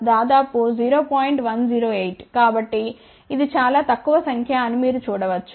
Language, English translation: Telugu, So, you can see it is a relatively small number